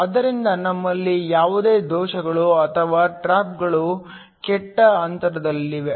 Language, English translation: Kannada, So, we do not have any defects or traps that are located within the bad gap